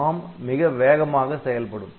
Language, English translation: Tamil, So, ARM will be running much faster